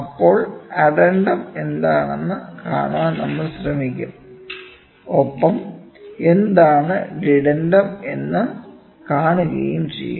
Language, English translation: Malayalam, Then, we will try to see what is addendum and we will see what is dedendum